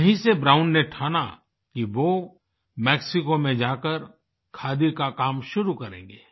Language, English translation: Hindi, It was here that Brown resolved to work on khadi on his return to Mexico